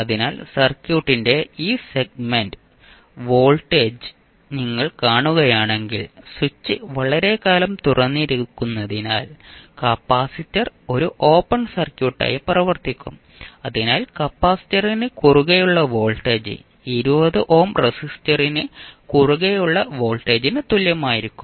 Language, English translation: Malayalam, So if you see this segment of the circuit the voltage because the switch is open for very long period this will the capacitor will act as an open circuit, so the voltage across capacitor will be same as the voltage across 20 ohm resistance